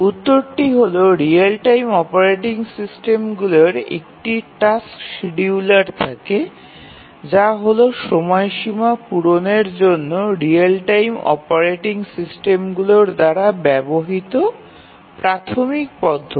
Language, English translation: Bengali, The answer is that the real time operating systems have a tasks scheduler and it is the tasks scheduler which is the primary mechanism used by the real time operating systems to meet the application deadlines